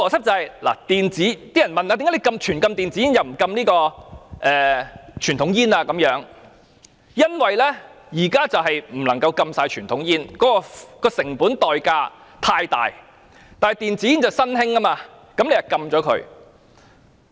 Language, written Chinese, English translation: Cantonese, 政府之所以全面禁止電子煙而不禁傳統香煙，原因是全面禁止傳統香煙的成本代價太大，但電子煙是新興的，政府便禁了它。, The reason why the Government introduced a total ban on e - cigarettes rather than traditional cigarettes is that the opportunity cost of imposing a total ban on the latter is too high . Given that e - cigarette is a new product the Government thus decided to ban it